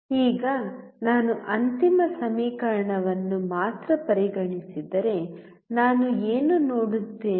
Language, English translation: Kannada, Now, if I only consider the final equation what do I see